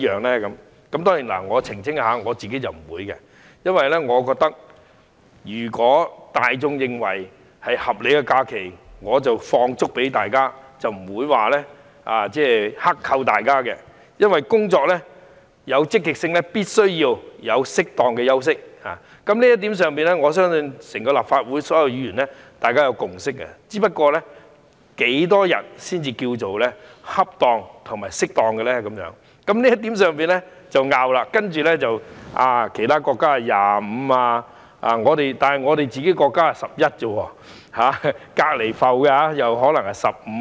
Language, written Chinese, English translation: Cantonese, 我要澄清，我不會，因為我覺得大眾認為是合理的假期，我便會給員工放足假期，不會剋扣，因為要員工工作積極，便必須給他們適當的休息，在這一點上，我相信立法會所有議員均有共識，只不過是多少天假期才屬恰當，大家在這一點上有所爭拗，例如說其他國家有25天假期，但我們只有11天，而鄰埠又可能是15天。, I have to clarify that I will not because I feel that when the public consider a certain number of days of holidays is reasonable I will allow my staff to enjoy all the holidays they are entitled to and I will not deduct any of them . If you want your staff to work with enthusiasm you should give them appropriate rest . In respect of this point I believe all Members in the Legislative Council have a consensus